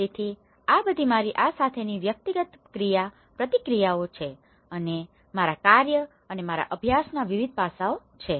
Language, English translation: Gujarati, So, these are all my, some of my personal interactions with these or various other various aspects of my work and as well as my study